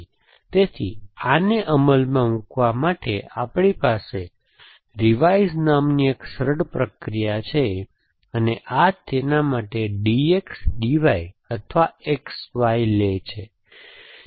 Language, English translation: Gujarati, So, to implement this, we have a simple procedure called revise and this is kind a standard name for it D X D Y or X Y it takes